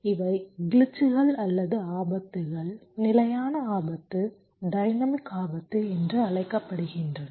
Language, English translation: Tamil, these are called glitches or hazards: static hazard, dynamic hazard